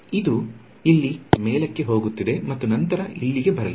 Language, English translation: Kannada, So, this guy is going to go up and then come down over here